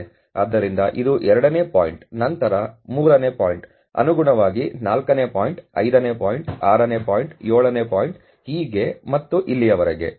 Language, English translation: Kannada, So, this is the second point, then the third point correspondingly the fourth point, fifth point, 6th point, seventh point, so and so far